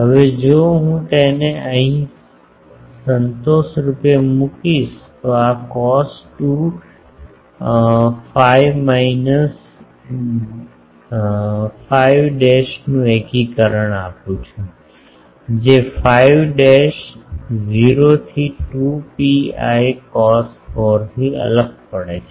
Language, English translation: Gujarati, Now, the if I put it here fortunately the integration of this cos 2 phi minus phi dash where, phi dash this varying from 0 to 2 pi cos 4